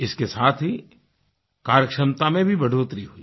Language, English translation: Hindi, This also helped in improving efficiency